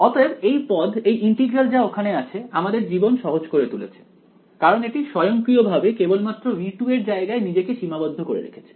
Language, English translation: Bengali, So, this term this integral over here our life has become simple because automatically it is restricted only to the region of interest v 2